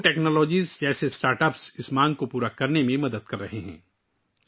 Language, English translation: Urdu, Startups like Jogo Technologies are helping to meet this demand